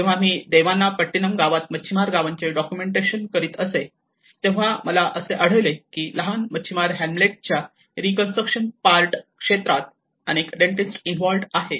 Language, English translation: Marathi, My own experience when I was in Devanampattinam village, and I was documenting a few fisherman villages, I have come across even many dentists is involved in the reconstruction part of it in the smaller fisherman Hamlets